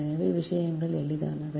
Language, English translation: Tamil, so things are easy, right